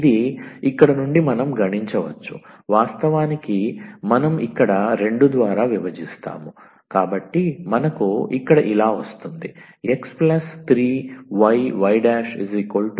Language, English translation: Telugu, So, from here we can compute, in fact or we just divide here by 2 so we will get here x plus 3 y and y prime is equal to 0